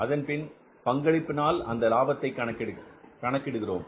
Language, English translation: Tamil, And then we calculate the contribution